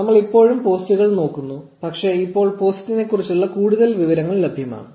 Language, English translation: Malayalam, We are still looking at the posts, but now there is much more information about the post available